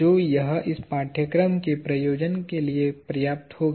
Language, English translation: Hindi, But, this will suffice for the purpose of this course